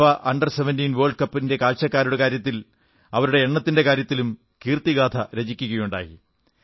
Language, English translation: Malayalam, FIFA Under 17 World Cup had created a record in terms of the number of viewers on the ground